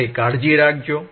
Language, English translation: Gujarati, You take care